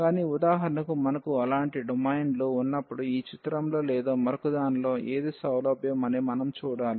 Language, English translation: Telugu, But, when we have such a domains for example, in this figure or in the other one then we should see that which one is convenience